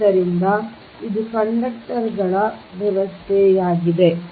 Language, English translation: Kannada, so this is the arrangement of the conductors